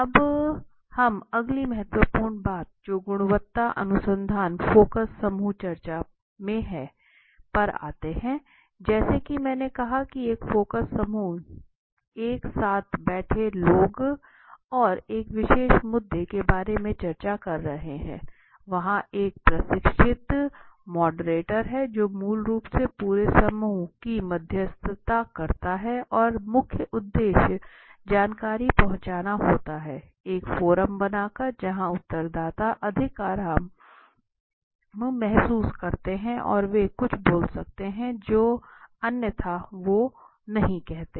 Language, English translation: Hindi, Now let us after this will go to the next important thing that is in a quality research focus group discussion as I said a focus group as you see seems like group of people sitting together and discussing about a particular issue of interest okay so there is a trained moderator the trained moderator is basically moderating a whole group right and the main purpose is gain to gain the insights by creating a forum where respondents feel more relaxed and they can come out on their own so they can speak up something which otherwise they would not have said